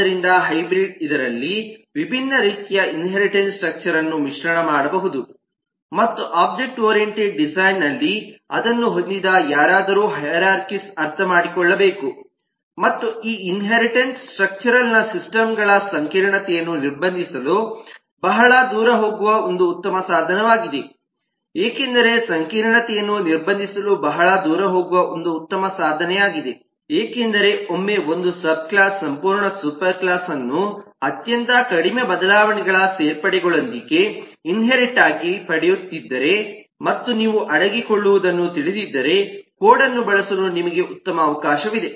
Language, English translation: Kannada, so hybrid could mix up different kinds of inheritance structure in this, and the reason in object oriented design some on needs to understand the hierarchies and inherited structure is this is one great tool which go a long way to restrict complexity of systems because, as you can understand that once a subclass can inherit a whole of a superclass with very minimal changes, additions and you know hiding, then you have a great opportunity for use of code